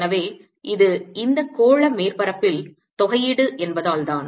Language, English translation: Tamil, so this is because this a the integration over this spherical surface